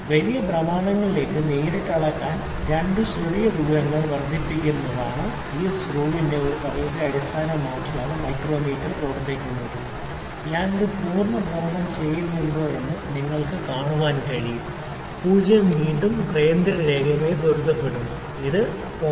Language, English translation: Malayalam, So, micrometer is based upon a principle of this screw to amplify the small distances that are two small to measure directly in to large rotations, you can see if I make one full rotation 0 is again coincided with this central line, it has moved 0